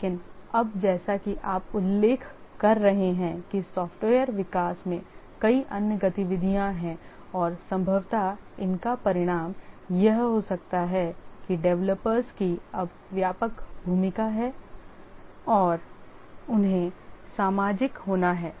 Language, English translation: Hindi, That was the major activity but now as you are mentioning software development has many other activities and possibly that may be the result that the developers have a broader role now and they have to be social